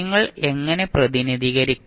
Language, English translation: Malayalam, How will you represent